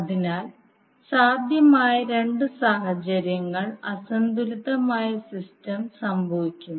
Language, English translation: Malayalam, So, unbalanced system is caused by two possible situations